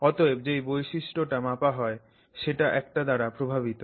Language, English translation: Bengali, Therefore the property that you measure is dominated by this